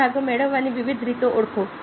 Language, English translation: Gujarati, identify various ways if getting this parts